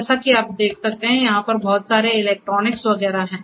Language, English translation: Hindi, So, as you can see over here there is lot of electronics and so on